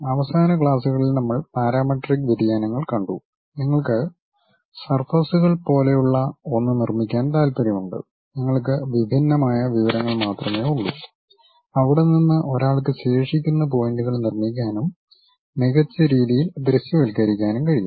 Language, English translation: Malayalam, In the last classes, we have seen parametric variations means you want to construct something like surfaces, you have only discrete information, from there one will be in aposition to really construct remaining points and visualize in a better way